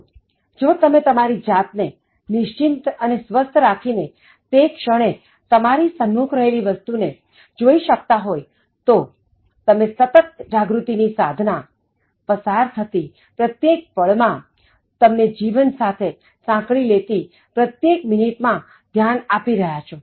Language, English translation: Gujarati, So, if you are able to settle yourself and relax and focus on what is there at that moment in present of you, you will be practicing mindfulness, paying full attention to every second that is passing by, every minute that you are involved in this life